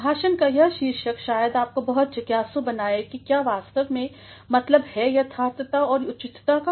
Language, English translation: Hindi, The title of the lecture may make you very curious as to what exactly is meant by correctness and appropriateness